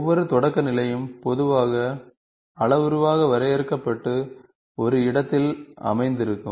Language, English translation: Tamil, Each primitive is usually defined parametrically and located in a space